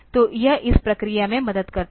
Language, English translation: Hindi, So, this helps in this process ok